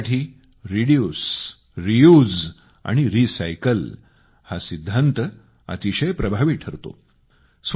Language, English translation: Marathi, For waste collection the principle of reduce, reuse and recycle is very effective